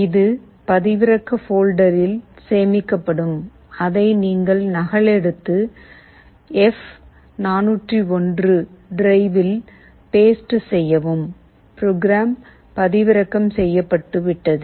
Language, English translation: Tamil, It will get saved into the download folder and you copy and paste it to the F401 drive, the program has been downloaded